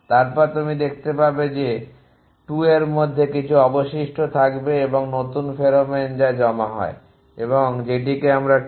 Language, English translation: Bengali, Then you can see that some of 2 whole will remain plus the new pheromone that is deposits and that we will call as tau i j n let a say